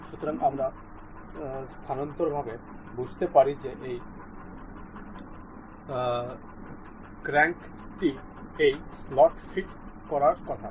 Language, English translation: Bengali, So, we can intuitively understand that this crank is supposed to be fit in this slot